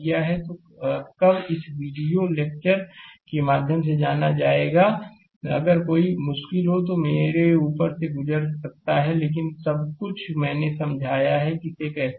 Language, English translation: Hindi, So, you will when you will go through this video lecture, if you have any difficult, you can go through my right up, but everything I explained how to solve it right